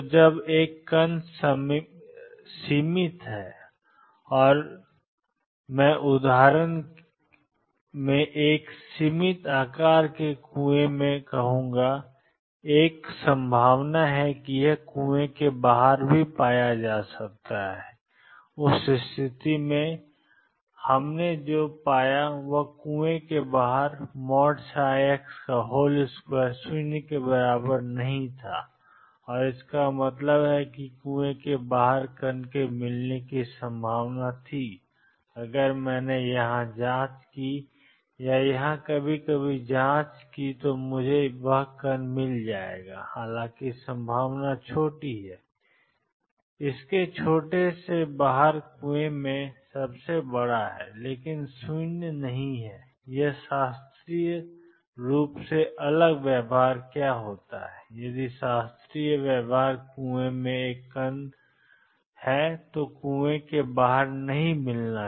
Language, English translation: Hindi, So, when a particle is confined and I confined; I will say in quotes in a finite size well, there is a probability that it is found outside the well in that case what we found is psi x square was not equal to 0 outside the well and; that means, there was a probability of finding the particle outside the well, if I probed here or probed here sometimes I would find that particle although the probability is small is largest in the well outside its small, but non zero this is different from classical behavior what happens if classical behavior is a particle in a well will never be found outside the well